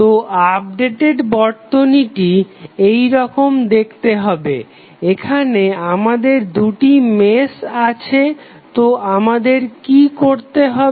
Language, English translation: Bengali, So, the updated circuit would be looking like this, here we have two meshes so what we have to do